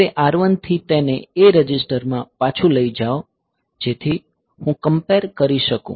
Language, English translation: Gujarati, Now, from R1 I take it back to the A register so, that I can do a comparison